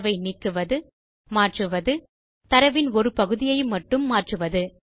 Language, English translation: Tamil, Removing data, Replacing data, Changing part of a data